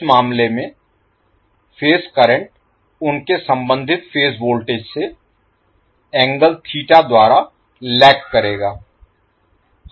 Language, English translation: Hindi, The phase currents will lag behind their corresponding phase voltages in that case by angle theta